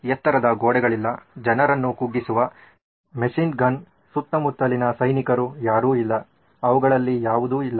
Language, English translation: Kannada, No high walls, no you know machine gun bearing down people, soldiers around, nope, none of them